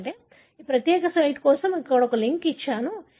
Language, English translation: Telugu, So I have given the link for this particular site